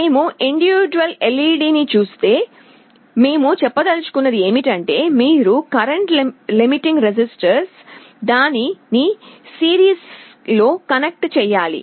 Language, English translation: Telugu, If we look at one individual LED, what we mean to say is that you need to have a current limiting resistance connected in series to it